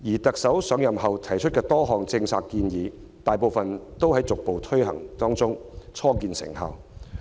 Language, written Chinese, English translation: Cantonese, 特首在上任後提出多項政策建議，大部分都在逐步推行中，初見成效。, Since taking office the Chief Executive has made numerous policy proposals most of which having been implemented gradually and their effectiveness is beginning to be seen